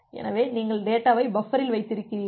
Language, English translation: Tamil, So, based on that, you put the data in the buffer